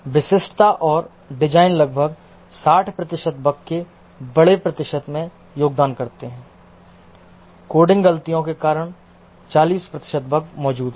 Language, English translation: Hindi, Specification and design contribute the larger percentage of bugs, but 60%, 40% bugs are present due to coding mistakes